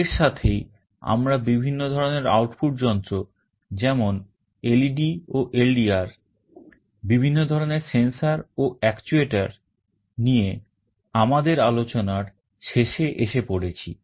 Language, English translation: Bengali, With this we come to the end of our discussion on various kinds of output devices like LEDs and LDRs, various kind of sensors and actuators